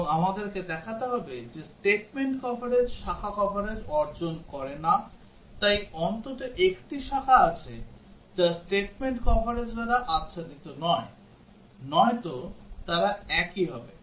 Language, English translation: Bengali, And also we have to show that statement coverage does not achieve branch coverage, so there is at least one branch which is not covered by statement coverage; otherwise, they will be the same